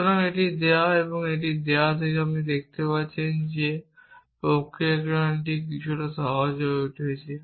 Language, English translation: Bengali, So, given this and given this you can see that it is becoming a little bit simpler to do this processing